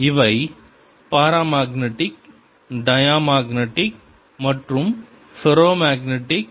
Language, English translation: Tamil, these are paramagnetic, diamagnetic and ferromagnetic